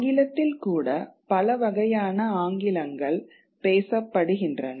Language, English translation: Tamil, Even in English there are multiple kinds of English that are spoken